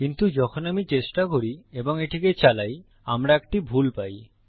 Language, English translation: Bengali, But when I try and run this, we get an error